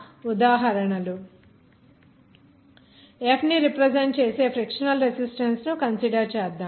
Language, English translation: Telugu, Let us consider considered a frictional resistance that is represented by F